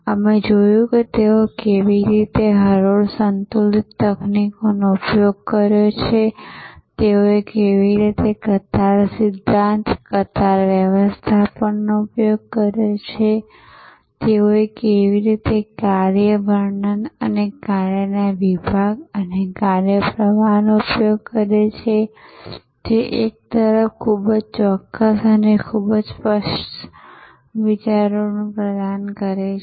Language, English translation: Gujarati, We looked at how they have used line balancing techniques, how they have used queue theory, queue management, how they have used job descriptions and job partitions and work flow, which provide on one hand, very precise and very clear ideas about the steps, the sequences